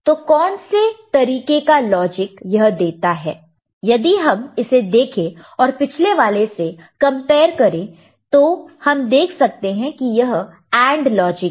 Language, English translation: Hindi, So, what sort of logic does it provide what sort, I mean, if you look at it, if you compare it with previous thing we shall see that this is AND logic ok